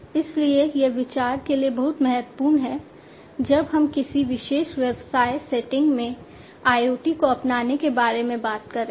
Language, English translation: Hindi, So, this is very important for consideration, when we are talking about the adoption of IoT in a particular business setting